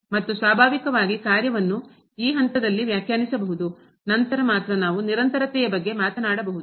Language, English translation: Kannada, And naturally the function must be defined at this point, then only we can talk about the continuity